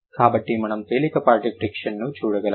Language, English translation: Telugu, So, that is why we can feel a mild friction